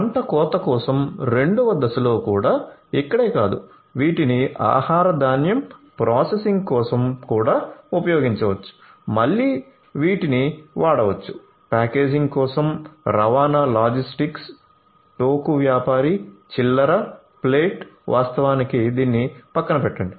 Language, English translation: Telugu, So, not only over here if in step 2 for harvesting also these could be used for food grain processing, again these could be used, for packaging likewise transportation, logistics, wholesaler, retailer, plate not plate actually I mean as let us leave this aside